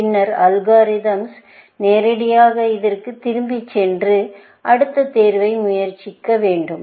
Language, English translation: Tamil, Then, the algorithm should actually, directly jump back to this, and try the next choice, essentially